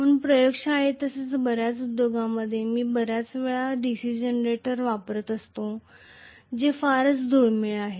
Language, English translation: Marathi, So most of the times in the laboratory as well as in many of the industries if it all I am using a DC generator which is very rare again